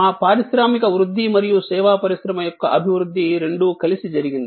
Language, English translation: Telugu, Our industrial growth and service industry growth kind of happened together